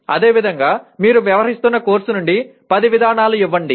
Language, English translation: Telugu, Similarly, give 10 procedures from the course that you are dealing with